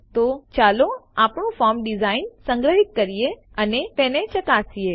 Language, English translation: Gujarati, So let us save the form design and test it